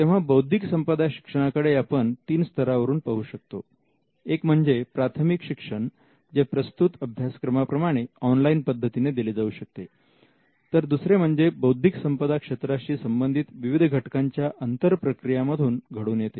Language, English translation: Marathi, So, we can look at IP education from three levels; one is the basic education which online course like this can cover, the other is an ongoing education which would require some kind of an interaction constant interaction with the stakeholders